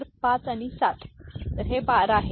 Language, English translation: Marathi, So, 5 and 7, so this is 12